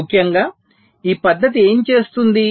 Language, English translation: Telugu, so essentially what this method does